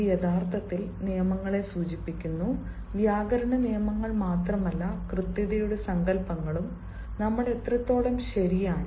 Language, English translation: Malayalam, it actually stands for rules, grammatical rules, and then not only the grammatical rules, but also the notions of correctness how correct we are, notions of correctness